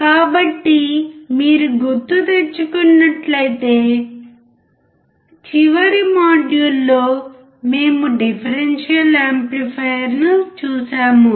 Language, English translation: Telugu, So, if you remember, in the last module we have seen the differential amplifier